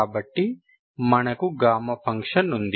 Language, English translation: Telugu, So this is your property of gamma function